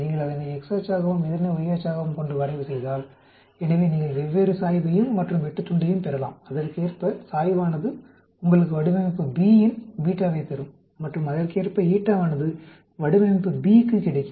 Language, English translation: Tamil, When you plot that as the x axis and this as the y axis, so you may get a different slope and an intercept, correspondingly the slope will give you the beta for the design B and corresponding eta will get for design B